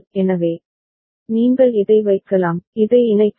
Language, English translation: Tamil, So, you can you can put this one, you just connect this one